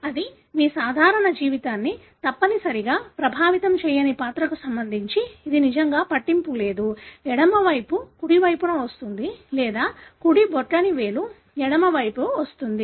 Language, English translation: Telugu, That is with regard to a character which may not necessarily affect your normal life it doesn’t really matter, the left comes over the right or the right thumb comes over the left